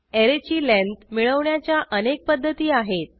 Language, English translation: Marathi, There are many ways by which we can find the length of an array